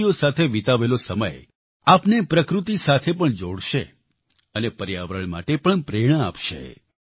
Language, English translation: Gujarati, Time spent among birds will bond you closer to nature, it will also inspire you towards the environment